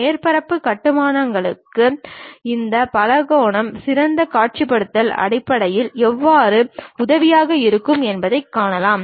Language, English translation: Tamil, So, for surface constructions we have seen how these polygons are helpful in terms of better visualization